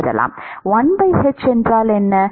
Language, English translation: Tamil, What is 1 by h into As